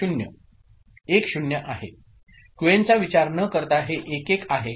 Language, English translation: Marathi, 1 0, irrespective of Qn, this is 1, 1